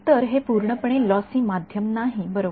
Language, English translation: Marathi, So, that is not a purely lossy media right